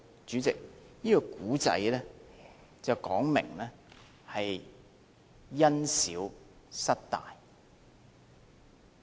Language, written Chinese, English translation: Cantonese, 主席，這個故事說的是，因小失大。, President the story tells us about losing the greater for the less